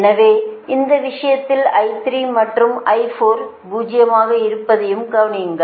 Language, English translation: Tamil, so also note that in this case i three zero, i three, i four, zero